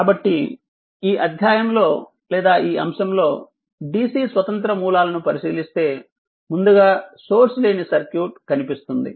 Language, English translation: Telugu, So, in this chapter or in this topic we will consider dc independent sources right first will see the source free circuit